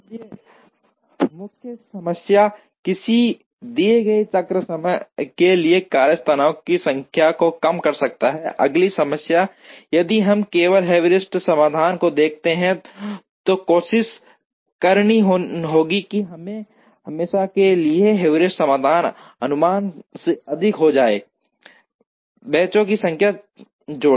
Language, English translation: Hindi, So, the main problem is to minimize the number of workstations for a given cycle time, the next problem if we were to look at only heuristic solutions is to try and get invariably the heuristic solution will over estimate, the number of benches slightly